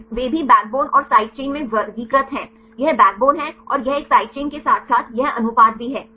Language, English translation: Hindi, Then also they classify into backbone and side chain, this is the backbone and this is a side chain as well as this ratio